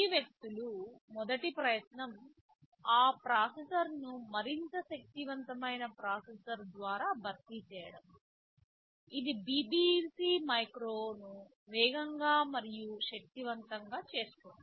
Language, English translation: Telugu, TSo, the first attempt of these people were was to replace that processor by a better processor more powerful processor, which will make the BBC micro faster and more powerful ok